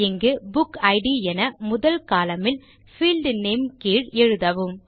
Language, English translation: Tamil, Here, type BookId as the first column under Field Name